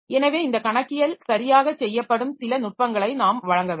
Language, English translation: Tamil, So we must provide some mechanism by which this accounting is done properly